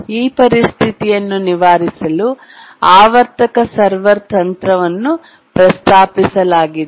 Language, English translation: Kannada, To overcome this situation, the periodic server technique has been proposed